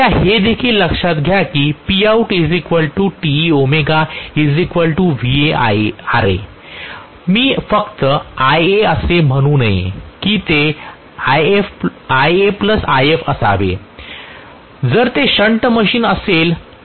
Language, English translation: Marathi, What I am giving is Va times Ia, I should not just say Ia it should be Ia plus If if it is a shunt machine